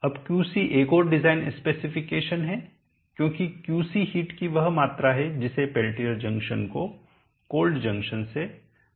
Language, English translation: Hindi, t we have this now QC is another design pack because QC is the amount of heat that you Pelletier junction will have to remove from the cold junction